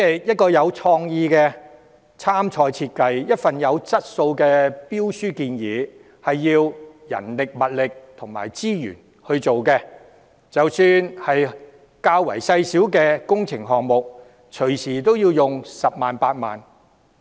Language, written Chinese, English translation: Cantonese, 一個具創意的參賽設計，一份有質素的標書，都要花人力、物力和資源去做，即使是較小型的工程項目，隨時亦要花上10萬元、8萬元。, It takes manpower materials and resources to prepare an innovative design for a competition and a quality tender . Even for relatively minor works projects 100,000 or 80,000 may often be expended